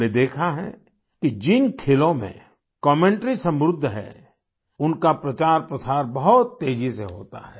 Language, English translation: Hindi, We have seen that games in which commentaries are vibrant, they get promoted and gain popularity very fast